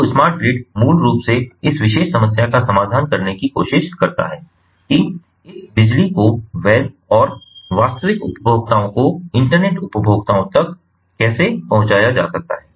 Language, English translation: Hindi, so smart grid basically also tries to address this particular problem, that how securely this electricity can be transmitted to the legitimate and the, the actual consumers, the internet consumers